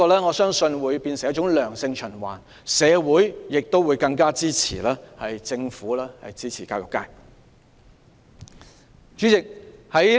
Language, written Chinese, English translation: Cantonese, 我相信這會變成一個良性循環，社會亦會更加支持政府支持教育界。, I believe this will become a positive cycle and in turn society will give more support to by the Government for its support for the education sector